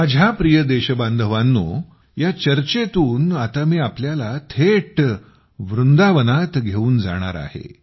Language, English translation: Marathi, My dear countrymen, in this discussion, I now straightaway take you to Vrindavan